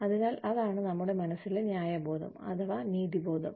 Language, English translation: Malayalam, So, that is the fairness, the sense of justice, in our minds